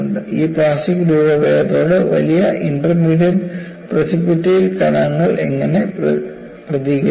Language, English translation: Malayalam, How do the large intermediate and precipitate particles respond to this plastic deformation